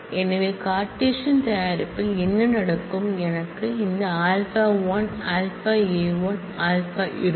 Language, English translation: Tamil, So, what will happen in the Cartesian product I will have this alpha 1 alpha a 1 a alpha